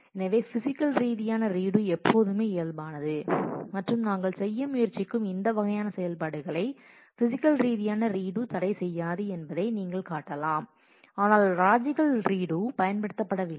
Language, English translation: Tamil, So, physical redo is always physical and you can show that physical redo does not prohibit this kind of operations that we are trying to do, but the logical redo is not used